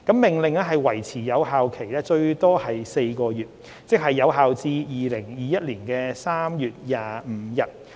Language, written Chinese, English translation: Cantonese, 《命令》維持有效最多4個月，即有效至2021年3月25日。, The Order will remain in force for four months at most ie . until 25 March 2021